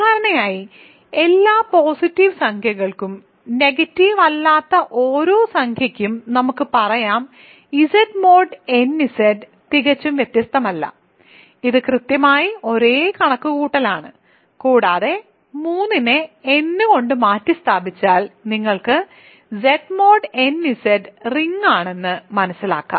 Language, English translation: Malayalam, So, more generally for every positive integer, let us say for every non negative integer Z mod n Z, there is absolutely no difference it is exactly the same calculation and if you replace 3 by n you get that Z mod n Z is a ring